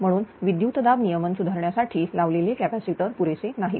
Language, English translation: Marathi, Therefore, the capacitor installed, to improve the voltage regulation are not adequate